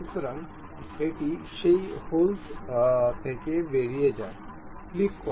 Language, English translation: Bengali, So, it goes all the way out of that hole, click ok